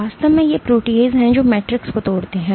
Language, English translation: Hindi, Actually these are proteases which degrade the matrix